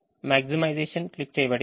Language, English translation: Telugu, the maximization is clicked